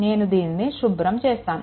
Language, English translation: Telugu, So, let me clear it